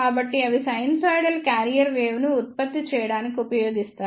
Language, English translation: Telugu, So, they are used in generating the sinusoidal carrier wave